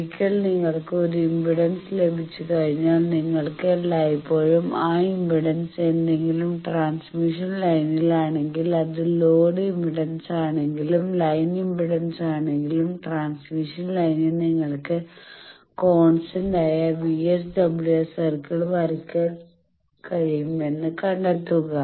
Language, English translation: Malayalam, Once you got an impedance you can always find out that if that impedance is one any transmission line, any impedance whether it is load impedance, line impedance, on transmission line then you can draw the constant VSWR circle